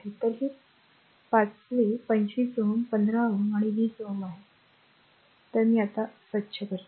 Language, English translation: Marathi, So, it is fifth 25 ohm 15 ohm and 20 ohm right; so, this is I am cleaning it